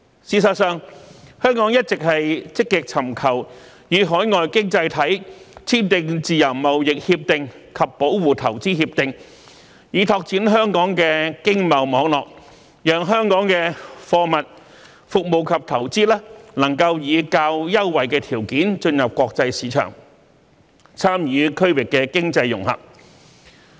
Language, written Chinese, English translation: Cantonese, 事實上，香港一直積極尋求與海外經濟體簽訂自由貿易協定及保護投資協定，以拓展香港的經貿網絡，讓香港的貨物、服務及投資能以較優惠條件進入國際市場，參與區域經濟融合。, In fact Hong Kong has been actively seeking to enter into free trade agreements and investment protection agreements with overseas economies in order to expand Hong Kongs economic and trade network so that our goods services and investments can enter the international market on more favourable terms as well as participate in regional economic integration